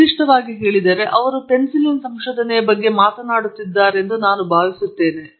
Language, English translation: Kannada, In particular, I think he was talking about the discovery of penicillin